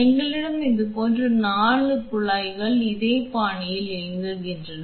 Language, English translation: Tamil, And we have 4 such tubes running on a similar fashion